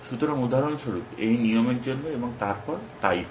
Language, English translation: Bengali, So, for this rule for example and then, so on